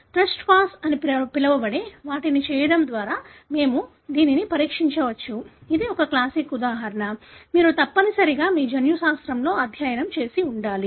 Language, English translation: Telugu, We can test that by doing what is called as a test cross, which is a classic example; you must have studied in your genetics